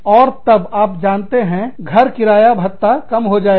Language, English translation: Hindi, And then, you know, the house rent allowance will go down